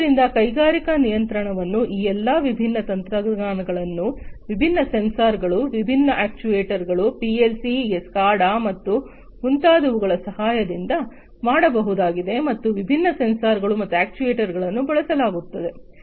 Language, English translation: Kannada, So, industrial control can be done with the help of all of these different technologies, different sensors, different actuators, based on PLC’s SCADA and so on and there are different sensors and actuators that are used